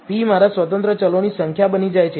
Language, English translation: Gujarati, P becomes my number of independent variables